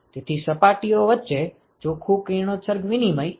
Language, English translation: Gujarati, So, the net radiation exchange between the surfaces this quantity